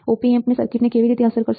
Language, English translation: Gujarati, How this effect of the Op amp circuit